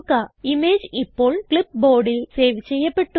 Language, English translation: Malayalam, The image is now saved on the clipboard